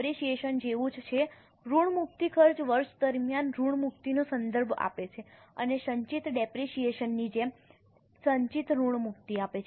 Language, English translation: Gujarati, Amortization expense refers to amortization during the year and there is accumulated amortization just like accumulated depreciation